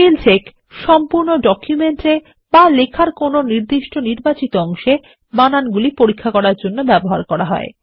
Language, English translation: Bengali, Spellcheck is used for checking the spelling mistakes in the entire document or the selected portion of text